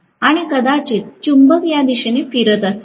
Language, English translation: Marathi, And maybe the magnet is rotated in this direction